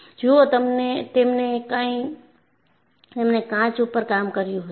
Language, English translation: Gujarati, And if you look at, he was working on glass